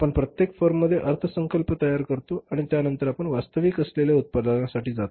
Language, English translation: Marathi, We prepare the budgets in every firm, budgets in every firm and then we go for the production that is the actual production